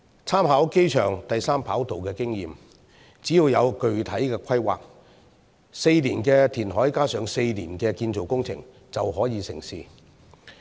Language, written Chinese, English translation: Cantonese, 參考機場第三跑道的經驗，只要有具體規劃 ，4 年的填海加上4年的建造工程，便可以成事。, Experience from the third airport runway suggests that as long as there is a specific plan four years of reclamation plus four years of construction work can bring it to fruition